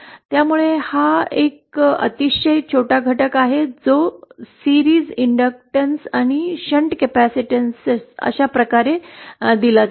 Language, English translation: Marathi, So this is a very small element that is the series inductance and shunt capacitances are given like this